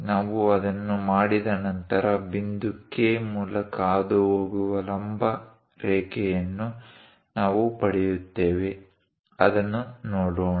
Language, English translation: Kannada, Once we do that, we will get a perpendicular line passing through point K; let us look at that